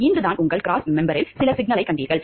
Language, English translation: Tamil, Just today you found a problem with your cross member